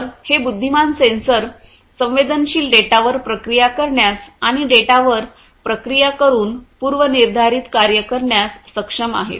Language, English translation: Marathi, So, these intelligent sensors are capable of processing sensed data and performing predefined functions by processing the data